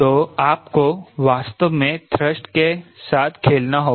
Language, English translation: Hindi, so you have to really play with the thrust